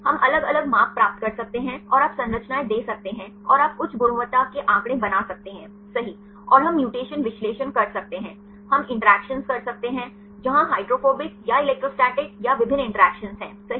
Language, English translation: Hindi, We can get the different measurements and you can give the structures and you can make high quality figures right and we can do the mutation analysis, we can do the interactions, where hydrophobic or electrostatic or different interactions right